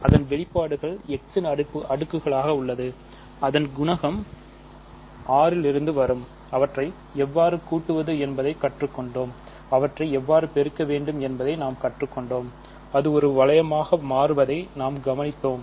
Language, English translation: Tamil, Its expressions in as powers of x with the coefficient coming from R in front of it and then, we learnt how to add them; we learnt how to multiply them and we observed that it becomes a ring